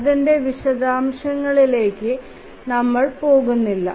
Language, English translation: Malayalam, We will not go into details of that